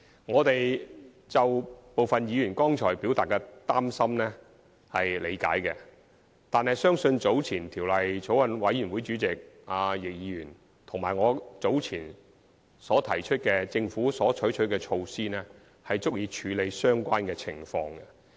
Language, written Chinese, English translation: Cantonese, 我們理解部分議員剛才表達的擔心，但相信法案委員會主席易議員和我早前提及政府所採取的措施，足以處理相關情況。, While we understand the concerns expressed by some Members just now we believe that the measures taken by the Government earlier mentioned by Bills Committee Chairman Mr YICK and I are adequate to deal with the relevant situation